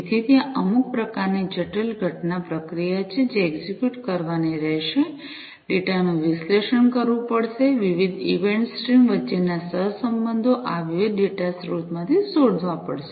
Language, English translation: Gujarati, So, there is some kind of complex event processing, that will have to be executed, the data will have to be analyzed correlations between different event streams will have to be found out from these different data sources and so on